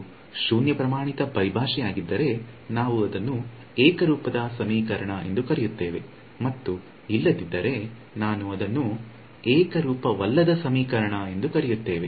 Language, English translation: Kannada, If it is zero standard terminology we will call it a homogeneous equation and else I call it a non homogeneous